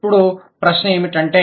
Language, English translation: Telugu, Now, so then what is the question